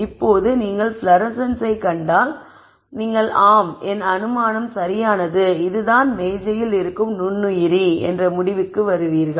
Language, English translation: Tamil, Now if you see fluorescence and then you would come to the conclusion yes my assumption is right this is the microorganism that is also on the table